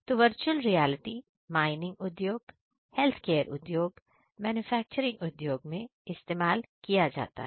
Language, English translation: Hindi, So, virtual reality application is very wide it is mainly used in the industry mining industry, healthcare industry and manufacturing industry